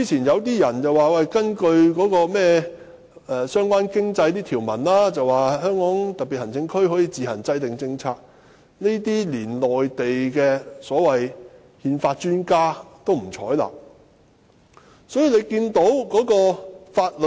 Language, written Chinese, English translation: Cantonese, 有些人指根據相關的經濟條文，特區可以自行制訂政策，但連內地的憲法專家也不採納這種說法。, Some people argued that the HKSAR can formulate its own policies in accordance with the relevant economic provisions but even Mainland constitutional experts refused to adopt this argument